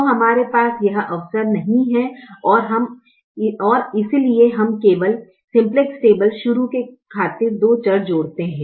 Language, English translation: Hindi, so we do not have that opportunity and therefore, only for the sake of starting the simplex table, we add two variables